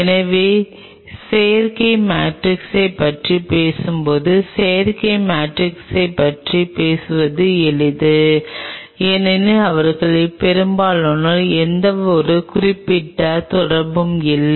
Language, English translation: Tamil, So, talking about the synthetic matrix it is easy to talk about the synthetic matrix because most of them do not have any specific interaction such